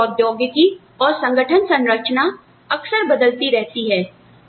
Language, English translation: Hindi, The company's technology, and organization structure, change frequently